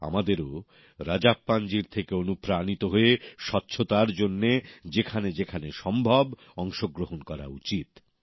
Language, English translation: Bengali, Taking inspiration from Rajappan ji, we too should, wherever possible, make our contribution to cleanliness